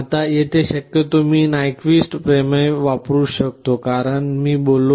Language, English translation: Marathi, Now, this you can possibly use again because of the Nyquist theorem I talked about